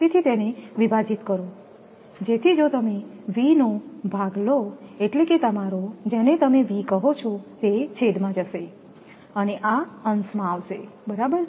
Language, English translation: Gujarati, So, divide it so if you divide V means your, what you call V will go to the denominator and it will come to the numerator right